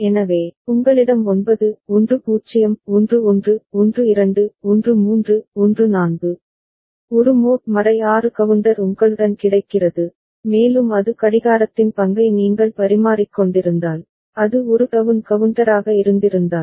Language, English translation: Tamil, So, you have got 9 10 11 12 13 14, a mod 6 counter available with you right and had it been a down counter, if you have exchanged the role of the clock